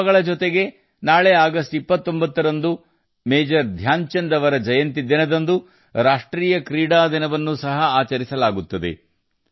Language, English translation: Kannada, Along with these festivals, tomorrow on the 29th of August, National Sports Day will also be celebrated on the birth anniversary of Major Dhyanchand ji